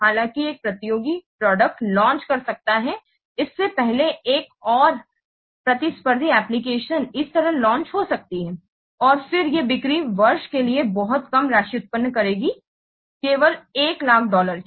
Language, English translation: Hindi, However, a competitor might launch another competing application like this before its own launching date and then the sales might generate a very less amount, only one lakh dollar for year